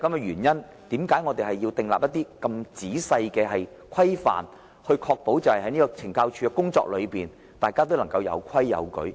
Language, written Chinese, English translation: Cantonese, 因此，我們要訂立很仔細的規範，確保大家在懲教署工作時能有規有矩。, Therefore we must establish norms thoroughly to ensure people work with discipline and restraint in CSD